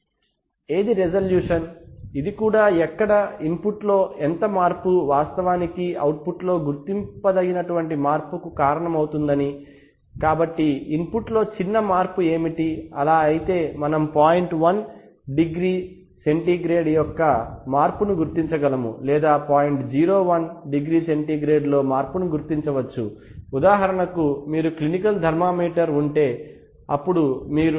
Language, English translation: Telugu, Which is resolution, this is also where, it says that how much of change in input will actually cause a detectable change in the output so what is the smallest change in the input so, if so can we detect a change of point one degree centigrade or can be detect a change in point zero one degree centigrade, for example if you have a clinical thermometer then you cannot possibly detect a change of